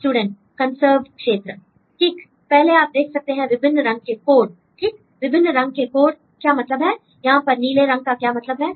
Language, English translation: Hindi, Right first you can see the different color codes right; what is the meaning of different color codes; what is the meaning of blue color here